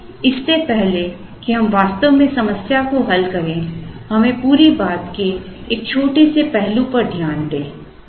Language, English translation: Hindi, Now, before we actually solve the problem, let us look at one small aspect of the whole thing